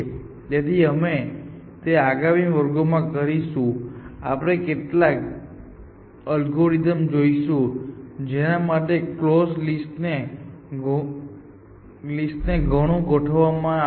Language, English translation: Gujarati, So, we will do that in the next class, we will look at some algorithms for which drastically proven the close list